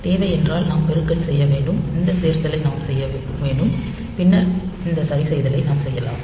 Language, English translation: Tamil, So, what is required is that we should do the multiplication, we should do this addition and then maybe we can do this adjustment